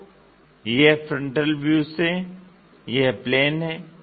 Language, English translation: Hindi, So, this is the,from frontal view this plane